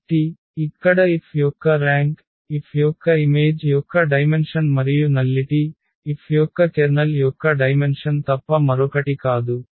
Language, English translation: Telugu, So, here the rank of F is the dimension of the image of F and nullity is nothing but the dimension of the kernel of F